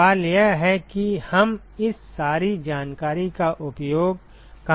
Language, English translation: Hindi, The question is where do we use all this information